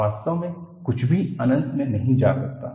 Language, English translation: Hindi, In reality, nothing can go into infinity